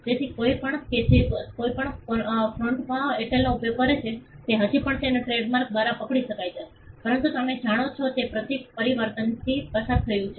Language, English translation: Gujarati, So, anybody who uses Airtel in any font can still be caught by their trademark, but the symbol you know it underwent a transformation